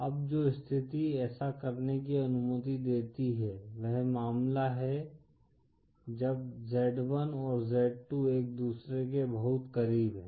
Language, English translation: Hindi, Now the condition which allows this to do so is the case when z1 & z2 are very close to each other